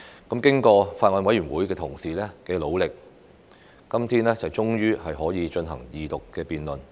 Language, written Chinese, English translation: Cantonese, 經過法案委員會同事的努力，今天終於可以進行二讀辯論。, After the hard work of Honourable colleagues in the Bills Committee the Second Reading debate can finally resume today